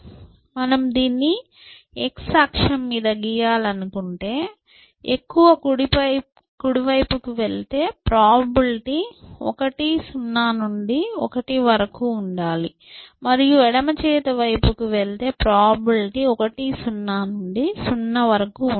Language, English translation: Telugu, So, if you want to plot this on x axis then the more you go to the right hand side, the probability should 10 to 1 and the more you go to the left hand side, the probability should 10 to 0 essentially